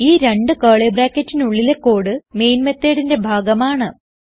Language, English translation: Malayalam, The code between these two curly brackets will belong to the main method